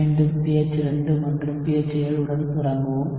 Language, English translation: Tamil, So again, let us start with pH 2 and pH 7